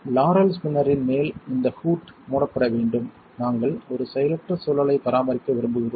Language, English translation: Tamil, This hood on top of the Laurell spinner should be closed we want to maintain an inert environment